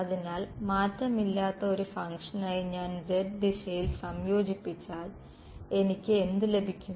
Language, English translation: Malayalam, So, if I integrate along the z direction for a function that does not change what will I have get